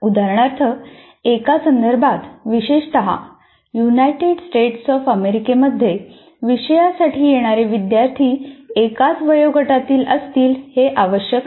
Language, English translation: Marathi, For example, in a context, especially in United States of America, the students who come to a course do not necessarily belong to the same age group